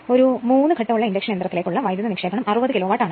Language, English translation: Malayalam, The power input to a 3 phase induction motor is 60 kilo watt